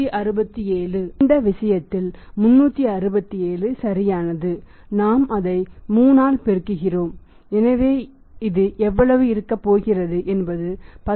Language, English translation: Tamil, So, in this case 367 right and we aremultiplying it by 3 so how much it is going to be you will get this something like 10